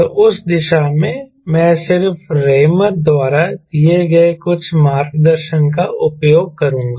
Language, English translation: Hindi, so in that direction i will just use few of the guidance given by raymour i thought i will share with you